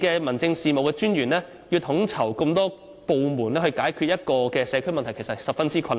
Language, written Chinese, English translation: Cantonese, 民政事務專員要統籌多個部門解決一個社區問題，其實十分困難。, It is indeed very difficult for the District Officers to coordinate the efforts of various departments in solving a community issue